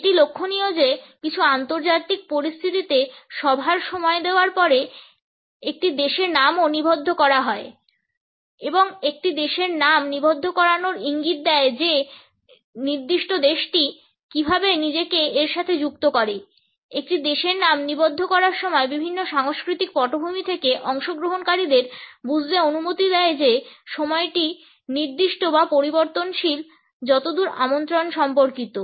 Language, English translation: Bengali, It is interesting to note that in certain international situations the name of a country is also inserted after the time of the meeting is given and the insertion of the name of a country indicates that, one also has to understand how the particular country associates itself with time the insertion of the name of a country allows the participants from different cultural backgrounds to understand if the time is fixed or fluid as far as the invitation is concerned